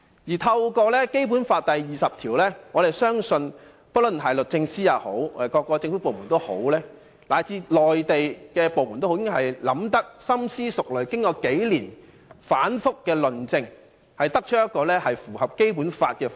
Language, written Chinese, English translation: Cantonese, 引用《基本法》第二十條，我們相信不論是律政司、各政府部門，以至內地部門，均已深思熟慮，再經數年的反覆論證，才得出一個符合《基本法》的方案。, Referring to Article 20 of the Basic Law we believe that both the Department of Justice the various government departments and the Mainland departments had thoroughly considered all relevant matters and engaged in years of detailed logical arguments before coming up with such a proposal which complies with the Basic Law